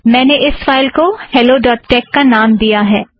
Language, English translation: Hindi, I have named the file hello.tex